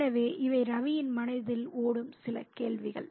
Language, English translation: Tamil, So these are some of the questions that are running through Ravi's minds